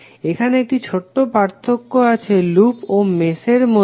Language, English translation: Bengali, Now, there is a little difference between loop and mesh